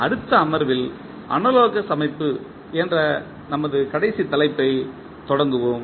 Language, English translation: Tamil, In the next session we will start our last topic that is the analogous system